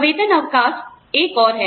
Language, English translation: Hindi, Paid time off is another one